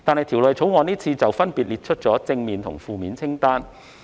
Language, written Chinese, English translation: Cantonese, 《條例草案》就此分別列出正面和負面清單。, In response the Bill provides a positive and a negative list